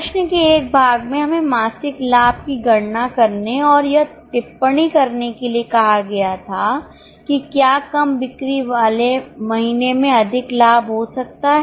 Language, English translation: Hindi, In a part of the question we were asked to calculate the monthly profits and comment if a month with lower sales can have higher profits